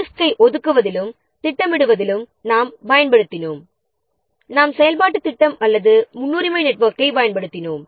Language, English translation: Tamil, In allocating and scheduling the resources, we have used what we have used the activity plan or a precedence network